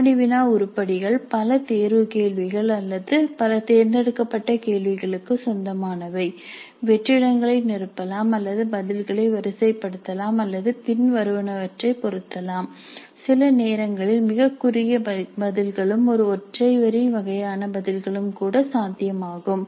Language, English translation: Tamil, The quiz items can belong to multiple choice questions or multiple select questions, fill in the blanks or rank order the responses or match the following, sometimes even very short answers, one single line kind of answers are also possible